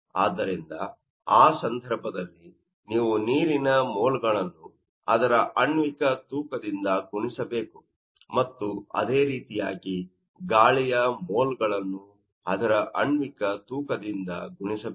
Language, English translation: Kannada, So, in that case, you have to know multiply this moles of water by each molecular weight and also moles of air by its molecular weight